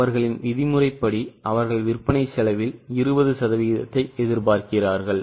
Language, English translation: Tamil, As per their norm, they expect 20% on their cost of sales